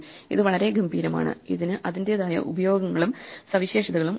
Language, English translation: Malayalam, It is very elegant and it has itÕs own uses and features